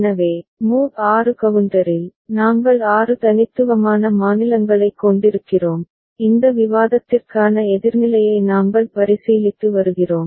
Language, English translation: Tamil, So, in the mod 6 counter, we are having six unique states and we are considering up counter for this discussion